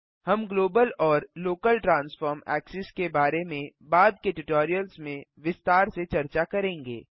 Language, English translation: Hindi, We will discuss about global and local transform axis in detail in subsequent tutorials